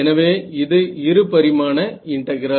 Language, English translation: Tamil, So now, this is a 2D integral